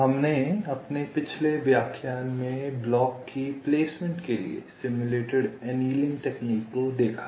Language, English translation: Hindi, so now, last lecture we looked at the simulated annealing technique for placement of the blocks